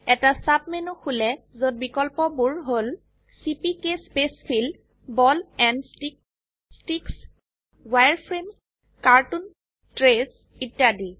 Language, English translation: Assamese, A sub menu opens with options like CPK Spacefill, Ball and Stick, Sticks, Wireframe, cartoon, trace, etc